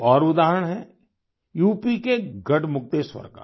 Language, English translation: Hindi, There is one more example from Garhmukteshwar in UP